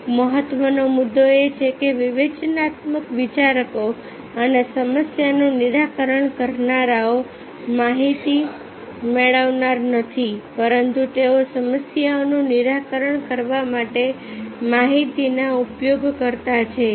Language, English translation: Gujarati, the one important point is that critical thinkers and problem solvers are not the receiver of information, but they are the users of information to solve the problems